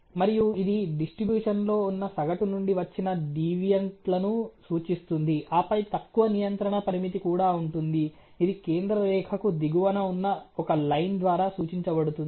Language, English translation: Telugu, And this sort of represents the deviants from the average which are there are or which are present in the distribution ok, and then there is of course a lower control limit as well which is represented by a line below the central line